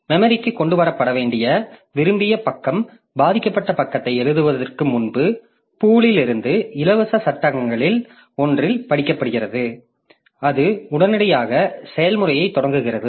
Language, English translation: Tamil, Now the desired page that needs to be brought into memory is read into one of the free frame from the pool before the victim page is written out and start the process immediately